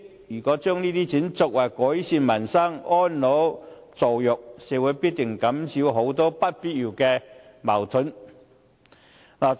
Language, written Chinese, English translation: Cantonese, 如果把這筆錢用作改善民生和安老助弱，必定可以減少社會很多不必要的矛盾。, If this sum of money is spent on improving peoples livelihood and care for the elderly and support for the disadvantaged many unnecessary conflicts in society can definitely be mitigated